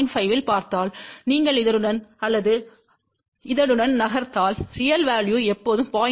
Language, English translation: Tamil, 5, if you move along this or along this, the real value is always going to be 0